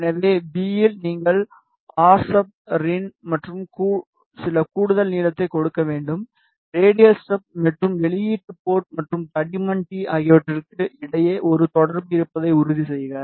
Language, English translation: Tamil, So, in V coordinates what you should give rsub minus rin plus some extra length just to ensure that there is a connection between radial strip and the output port and thickness t